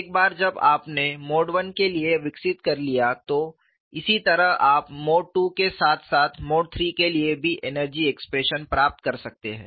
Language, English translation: Hindi, Once you have developed for mode 1 on a similar fashion, you could also get the energy expression for mode 2 as well as mode 3